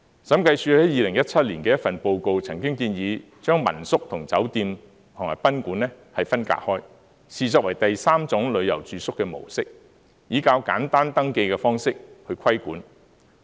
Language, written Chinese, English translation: Cantonese, 審計署曾在2017年的一份報告建議將民宿與酒店及賓館分隔開，視作第三種旅遊住宿的模式，以較簡單登記的方式來規管。, The Audit Commission has also recommended in its 2017 report that the regulatory scheme for family - run lodgings should be separated from hotels and guesthouses and they should be considered the third type of tourist lodging mode that only required to be regulated under a simplified registration system